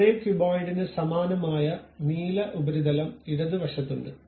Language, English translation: Malayalam, The same thing for the same cuboid, there is blue surface on the left hand side